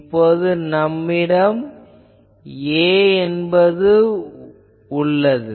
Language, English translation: Tamil, So, B 1 I got, A 1